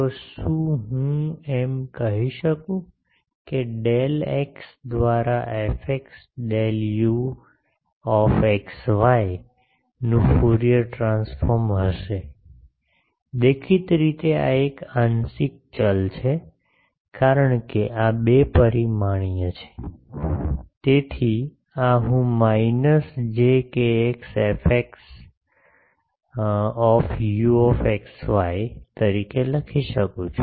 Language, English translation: Gujarati, So, can I say that Fourier transform of x del u x y del x will be; obviously, this is a partial variable because this is two dimensional, so this can I write as minus j k x F x u x y